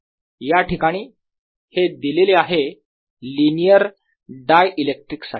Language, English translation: Marathi, this is given for linear dialectics again